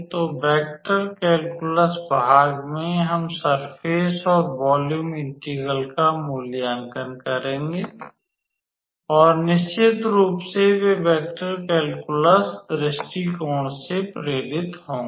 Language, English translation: Hindi, So, in vector calculus part also we will evaluate surface and volume integral and of course, those will be motivated from the vector calculus point of view